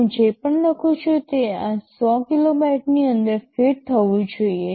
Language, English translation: Gujarati, WSo, whatever I write must fit within this 100 kilobytes